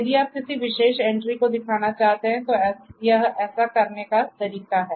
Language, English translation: Hindi, If you want to show a particular instance this is the way to do it